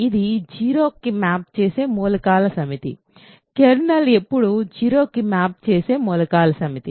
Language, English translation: Telugu, It is the set of elements that map to 0 right, kernel is always the set of elements that map to 0